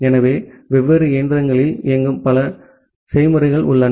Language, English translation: Tamil, So, there are multiple processes which are running in different machines